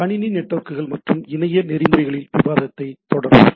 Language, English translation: Tamil, So, we will continue our discussion on Computer Networks and Internet Protocols